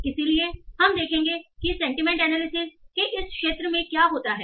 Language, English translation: Hindi, So there is a lot of different things that you can do about this field of sentiment analysis